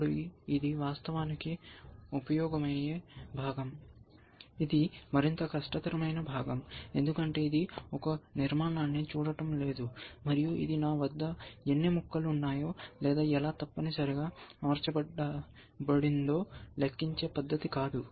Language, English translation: Telugu, Now, this is of course, the trickier part essentially, this is the more difficult part, because it is not looking a structure, and not it is not just a method of counting, how many pieces I have, how are they arranged essentially